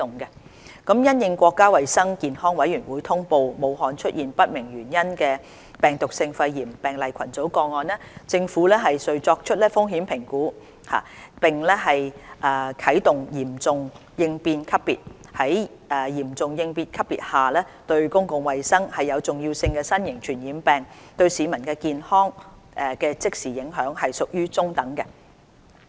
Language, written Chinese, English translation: Cantonese, 因應國家衞生健康委員會通報武漢出現不明原因的病毒性肺炎病例群組個案，政府遂作出風險評估並啟動"嚴重應變級別"。在嚴重應變級別下，"對公共衞生有重要性的新型傳染病"對市民健康的即時影響屬於中等。, Upon the risk assessment of the cluster of cases of viral pneumonia with unknown cause in Wuhan reported by the National Health Commission NHC the Serious Response Level was activated under which the immediate health impact caused by Novel Infectious Disease of Public Health Significance on local population is moderate